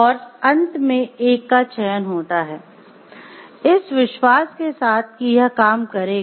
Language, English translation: Hindi, And finally, choose one that you have reason to believe will work